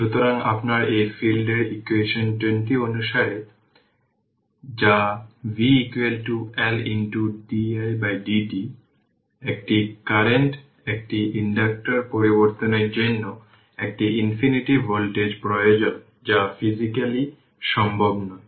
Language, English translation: Bengali, So, your in this case according to equation 20 that is v is equal to L into di by dt a discontinuous change in the current to an inductor requires an infinite voltage which is physically not possible